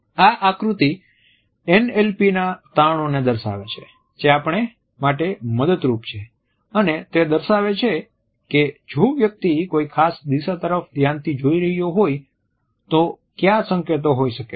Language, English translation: Gujarati, This diagram also retraites the findings of NLP which are helpful for us and we are told what may be the indications, if the person is looking at a particular direction